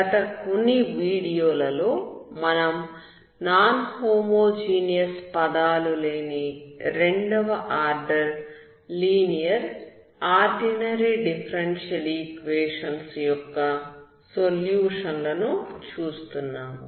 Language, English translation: Telugu, Welcome back, in the last few videos, we are looking at the solutions of second order linear ordinary differential equations which are without non homogeneous terms